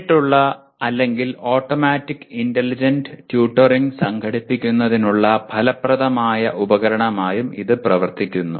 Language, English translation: Malayalam, It can also serve as an effective tool for organizing direct or automatic intelligent tutoring